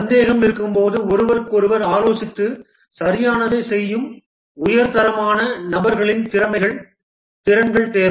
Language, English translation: Tamil, High quality people skills are required who when in doubt will consult each other and do what is correct